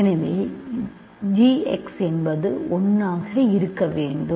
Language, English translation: Tamil, So, g x is must be 1 ok